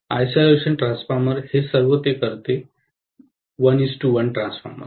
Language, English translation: Marathi, The isolation transformer, all it does is it will be a 1 is to 1 transformer